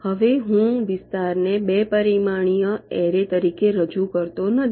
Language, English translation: Gujarati, i am not representing the area as a two dimensional array any more